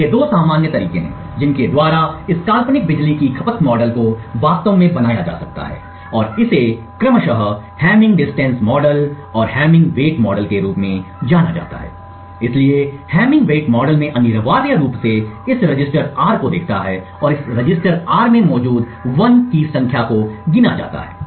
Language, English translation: Hindi, So there are two common ways by which this hypothetical power consumption model can be actually created and this is known as the hamming distance model and the hamming weight model respectively, so in the hamming weight model the model essentially looks at this register R and counts the number of 1s that are present in this register R